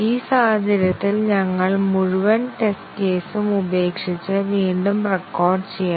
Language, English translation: Malayalam, In this case, we have to discard the entire test case and rerecord it